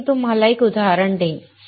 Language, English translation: Marathi, So, I will give you an example